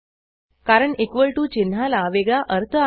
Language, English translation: Marathi, This is because the equal to sign has another meaning